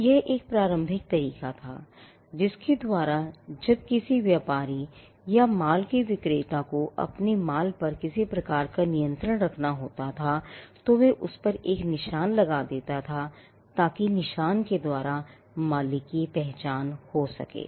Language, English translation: Hindi, So, this was an initial way by which when a trader or a seller of a goods when he had to have some kind of control over his goods, he would put a mark on it, so that marks could identify the owner